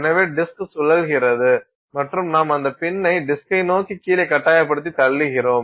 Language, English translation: Tamil, So, the disk is rotating and you force the pin down on that disk with some pressure